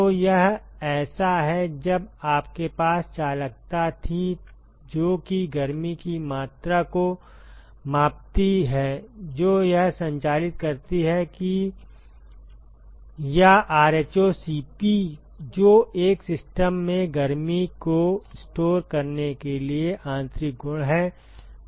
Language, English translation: Hindi, So, it is like, when you had conductivity which quantifies the amount of heat that it conducts or rho Cp which is the intrinsic property to store heat in a system